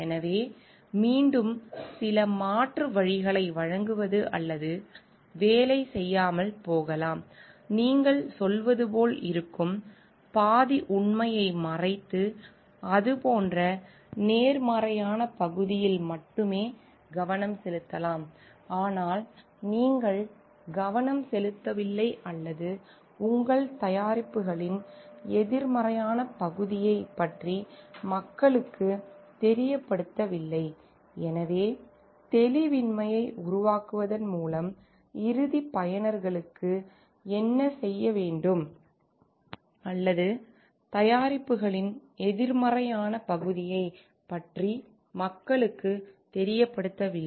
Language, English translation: Tamil, So, again giving certain alternatives which may or may not work, hiding the implication that is where you are telling like it is more goes like with the half truth like you are may be focusing only on the like positive part of it, but you are not focusing on the or you are not letting people know about the negative part of your products